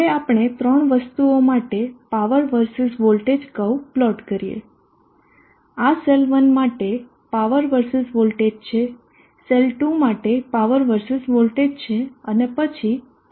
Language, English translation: Gujarati, Now let us plot the power versus voltage curve for the three items which is power versus voltage for cell 1 power versus voltage for cell 2 and then for the combination